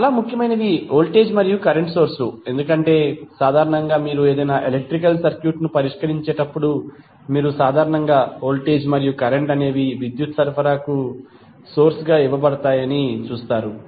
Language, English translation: Telugu, The most important are voltage and current sources because generally when you will solve any electrical circuit you will generally see that voltage and current are given as a source for the supply of power